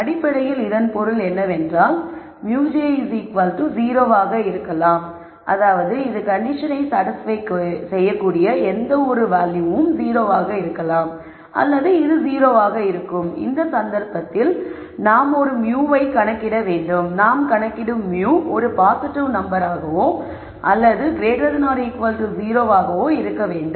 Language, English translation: Tamil, Basically what it means is either mu j is 0 in which case this is free to be any value such that this condition is satisfied or this is 0 in which case I have to compute a mu and the mu that I compute has to be such that it is a positive number or it is greater than equal to 0